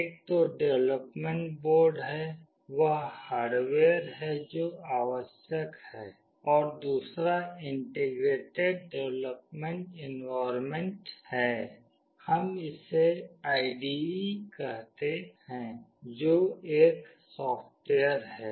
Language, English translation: Hindi, One is the development board, that is the hardware that is required, and another is Integrated Development Environment, we call it IDE that is the software